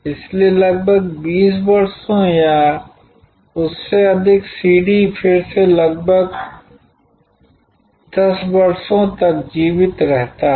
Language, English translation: Hindi, So, for nearly 20 years or more CD's from it is heydays survive for again nearly 10 years